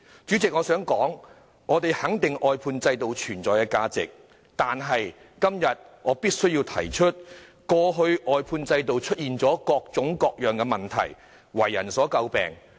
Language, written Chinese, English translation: Cantonese, 代理主席，我們肯定外判制度的存在價值，但我今天必須指出，外判制度在過去出現了各種各樣的問題，為人詬病。, Deputy President we recognize the value of existence of the outsourcing system but today I must point out that in the past various kinds of problems emerged in the outsourcing system causing it to become the subject of criticisms